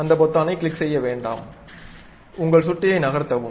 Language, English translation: Tamil, Do not click any button, just move your mouse